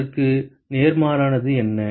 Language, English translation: Tamil, What is the opposite of that